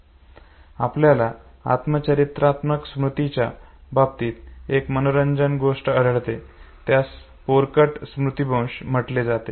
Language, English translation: Marathi, One interesting thing you will find in autobiographical memory, what is called as infantile Amnesia